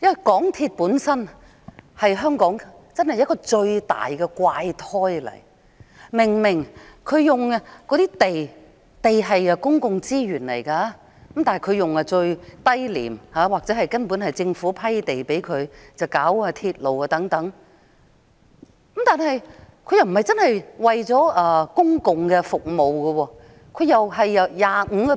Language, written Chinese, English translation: Cantonese, 港鐵公司本身是香港最大的怪胎，明明他們使用的土地是公共資源，他們以最低廉或根本是政府批給他們的土地來興建鐵路等，但他們卻不是真的為了公共服務。, MTRCL itself is the greatest oddity in Hong Kong . Apparently the land they are using is a public resource granted or given at a minimal price to them by the Government for the construction of railways and things . However they are actually not serving the public